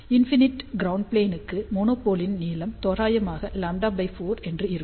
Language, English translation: Tamil, For infinite ground plane length of the monopole should be approximately lambda by 4